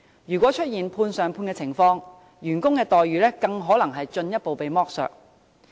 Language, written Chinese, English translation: Cantonese, 如果出現"判上判"的情況，員工的待遇更可能會進一步被剝削。, In the event that subcontracting is involved the employees salary and benefits may be further exploited